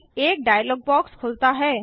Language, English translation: Hindi, A dialogue box opens